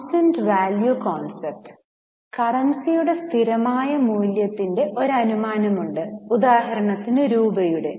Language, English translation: Malayalam, So, there is an assumption of constant value of currency, for example, rupee